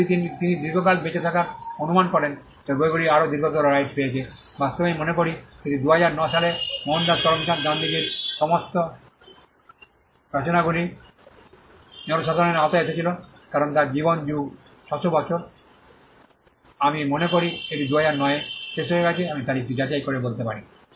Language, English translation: Bengali, And if he guess to live long then the books get a longer right, in fact I think it was in 2009 all the works of Mohandas Karamchand Gandhi, Gandhiji they came into the public domain, because his life plus 60 years; I think it expired in 2009 I can check and tell you the date